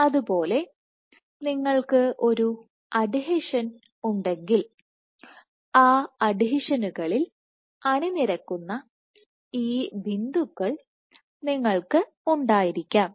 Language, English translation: Malayalam, Similarly, if you have an adhesion you might have these dots which align at those adhesions